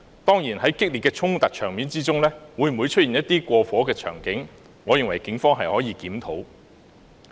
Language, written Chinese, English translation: Cantonese, 當然，在激烈的衝突場面中，會否出現一些過火的場景，我認為警方是可以檢討的。, In my opinion certainly the Police can review whether anything was overdone during the fierce confrontations